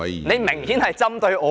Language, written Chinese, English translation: Cantonese, 你明顯針對我。, You have obviously picked on me